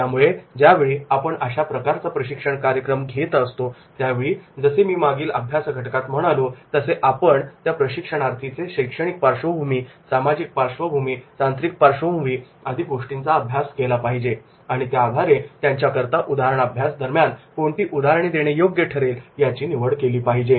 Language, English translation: Marathi, So, therefore, whenever we are conducting the training program, as I mentioned in earlier module also, we should know the profile of the trainee, that is what is their educational background and social background and technical background and then on basis of that, then we have to determine that which cases are the right cases